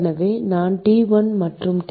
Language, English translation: Tamil, And this is T minus T1